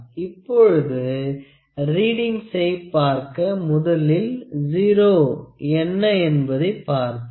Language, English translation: Tamil, Now to see the readings, let us see what is the 0